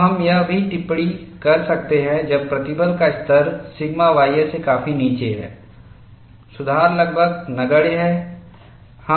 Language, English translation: Hindi, So, we can also comment, when the stress levels are far below the sigma ys, the correction is almost negligible